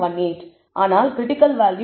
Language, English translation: Tamil, 18 is nothing, but the critical value 2